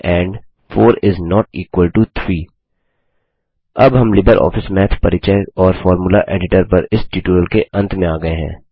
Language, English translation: Hindi, And 4 is not equal to 3 This brings us to the end of this tutorial on LibreOffice Math Introduction and Formula Editor